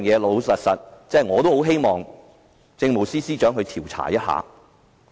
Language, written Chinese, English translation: Cantonese, 老實說，我也希望政務司司長調查一下。, Honestly I also hope that the Chief Secretary would investigate into the matter